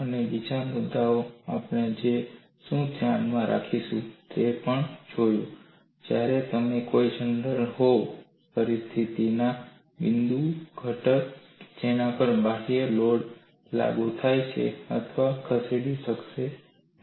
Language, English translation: Gujarati, And the other issue what we will have to keep in mind is, when you are having a general situation, the points of the component at which external loads are applied may or may not move